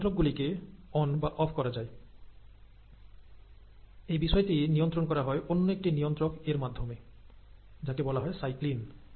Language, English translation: Bengali, There are these switches, which can be turned on or turned off, and these are turned on or turned off by regulators which are called as ‘cyclins’